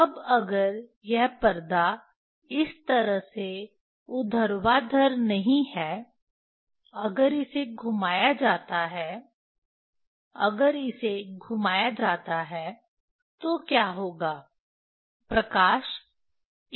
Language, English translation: Hindi, Now, if this screen is not is not say vertical this way, if it is rotated if it is rotated, then what will happen, light will go along this direction